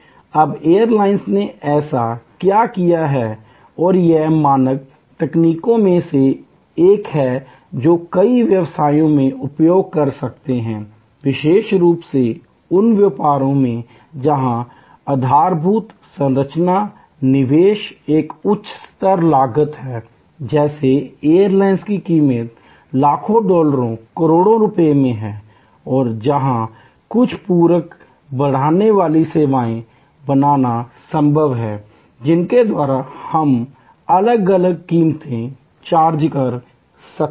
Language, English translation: Hindi, Now, what the airlines have done therefore, and this is one of the standard techniques we can use in many businesses, particularly in those business where the infrastructure investment is a high cost, like an airline costs in millions of dollars, crores of rupees and where it is possible to create some supplementary enhancing services by which we can charge different prices